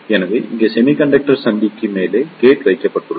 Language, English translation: Tamil, So, here the gate is placed on the top of the semiconductor junction